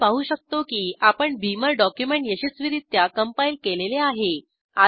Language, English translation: Marathi, We can see that we have successfully compiled a Beamer document